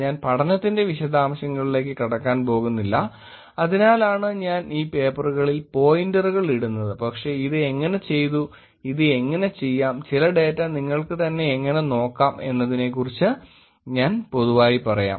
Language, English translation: Malayalam, I am not going to get into details of study that is why I put the pointers to the papers, but I will talk you in general how this was done, how this could be done, and how you can actually look at some of the data yourself also